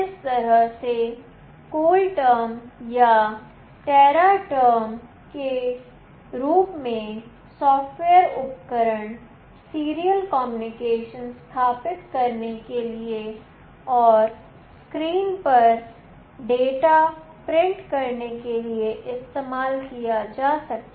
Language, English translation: Hindi, The software tool such as CoolTerm or Teraterm can be used to establish the serial communication and to print the data on the screen